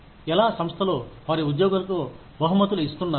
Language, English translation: Telugu, How do organizations, reward their employees